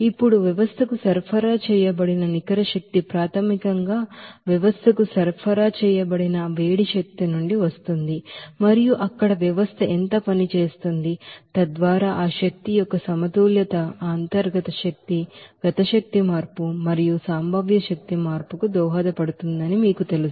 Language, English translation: Telugu, Now that net energy supplied to the system basically comes from that heat energy supplied to the system and how much work is done by the system there so that you know balancing of that energy would be contributed to that internal energy, kinetic energy change and potential energy change